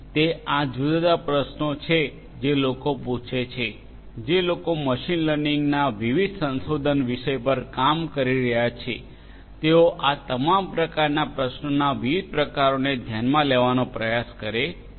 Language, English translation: Gujarati, So, there are different different questions people ask, people who are working on the different research themes of machine learning they try to address all these different types of varieties of questions